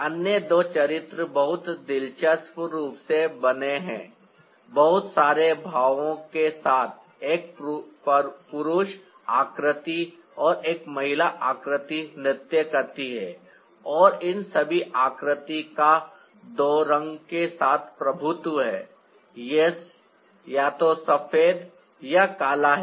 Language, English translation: Hindi, there are other two characters, very interestingly made with lots of expressions, a male figure and a female figure dancing trial, and all this figures are dominated with two shades: its either white or black